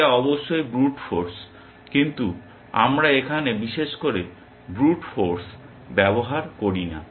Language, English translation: Bengali, That is of course, brute force, but we do not do brute force here especially